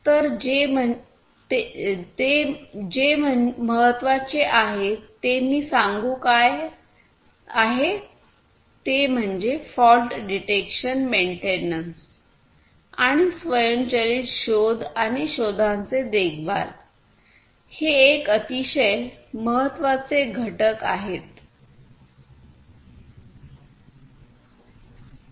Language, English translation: Marathi, So, what is also important the last component I would say what is important is the fault detection maintenance and automated detection and maintenance of faults is a very important component